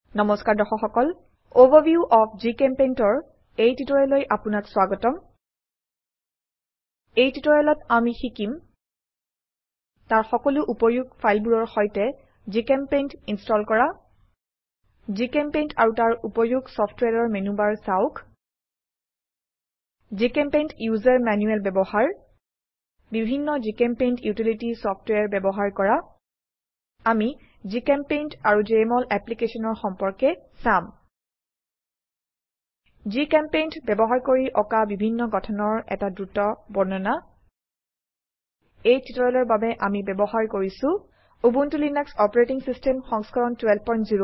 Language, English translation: Assamese, In this tutorial, we will learn to, Install GChemPaint along with all its utility files View menubar of GChemPaint and its utility softwares Use GChemPaint User Manual Use different GChemPaint utility softwares We will also see the relation between GChemPaint and Jmol Application Take a quick look at various structures that can be drawn using GChemPaint For this tutorial I am using Ubuntu Linux OS version 12.04